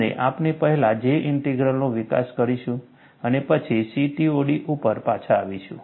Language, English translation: Gujarati, And we will first develop J Integral, then, get back to CTOD